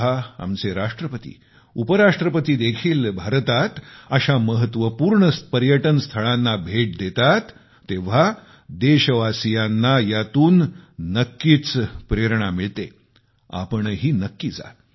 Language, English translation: Marathi, When our Hon'ble President & Vice President are visiting such important tourist destinations in India, it is bound to inspire our countrymen